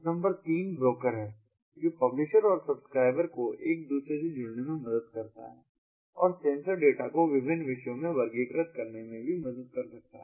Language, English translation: Hindi, number three is the broker in between, which helps the publishers and the subscribers connect to one another and also help in classifying the sensor data into different topics in mqtt